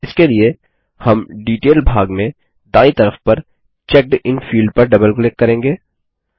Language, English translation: Hindi, For this, we will double click on the CheckedIn field on the right in the Detail section